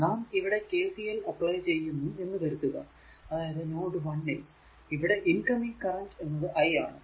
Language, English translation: Malayalam, So, apply KCL here if you apply KCL, incoming current at node a is i 1, right